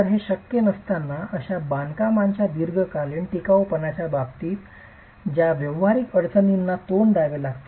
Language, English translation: Marathi, So, while this is possible, there are practical difficulties that one has to face in terms of long term durability of such constructions